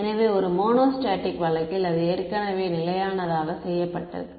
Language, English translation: Tamil, So, in a monostatic case it is already fixed